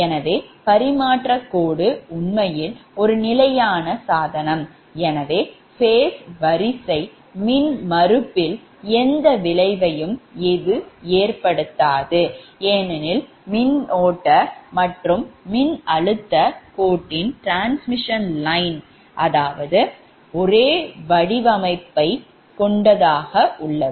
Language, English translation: Tamil, so transmission line actually is a static device and hence the phase sequence has no effect on the impedance because currents and voltage encounter the same geometry of the line